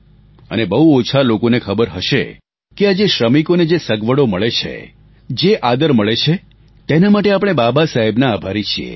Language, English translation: Gujarati, You would be aware that for the facilities and respect that workers have earned, we are grateful to Babasaheb